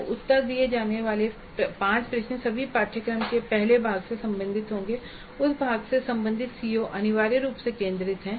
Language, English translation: Hindi, So the five questions to be answered will all belong to the earlier part of the syllabus and the COs related to that part are essentially focused upon